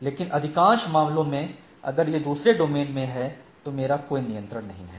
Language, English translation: Hindi, But, most of the cases if it is in the other domain I do not have any control